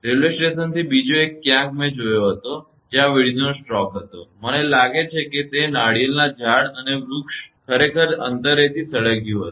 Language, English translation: Gujarati, Another one from railway station somewhere I saw there was a lightning stroke; I think on the coconut trees and the tree totally burnt actually from distance